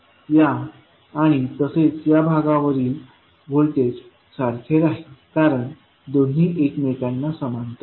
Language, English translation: Marathi, So, the voltage across this as well as across this lag will remain same because both are in parallel